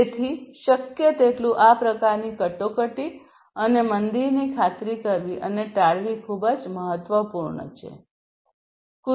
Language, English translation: Gujarati, So, it is very important to ensure and avoid this kind of crisis and recession as much as possible